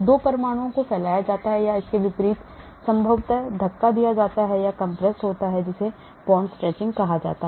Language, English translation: Hindi, 2 atoms are stretched or conversely maybe pushed in or compressed, that is called the bond stretching